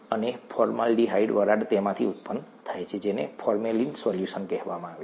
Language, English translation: Gujarati, And the formaldehyde vapour is generated from, what are called formalin solutions